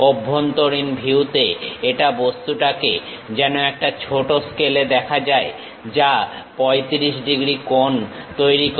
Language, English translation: Bengali, Inside view the same object looks like a reduce scale making 35 degrees angle